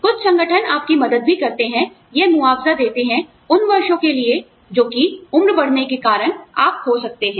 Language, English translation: Hindi, Some organizations also help you, or compensate you, for the years, that you may lose, due to advancing age